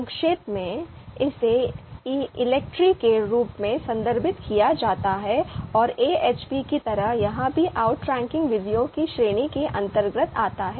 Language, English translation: Hindi, So this is referred as in short, in brief, this is referred as ELECTRE and just like AHP this also belongs to the category of outranking school of thought, outranking methods